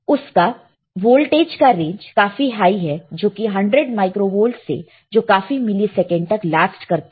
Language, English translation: Hindi, And the voltage is as high as 100 microvolts lasts for several milliseconds